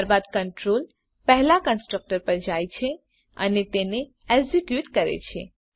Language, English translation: Gujarati, Then, the control goes to the first constructor and executes it